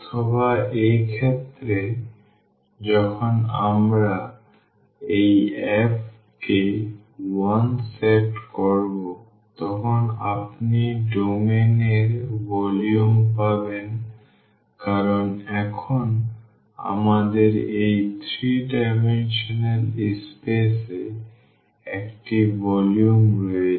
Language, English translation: Bengali, Or, in this case when we said this f to 1 you will get the volume of the domain because now, we have a 3 then we have a volume in this 3 dimensional space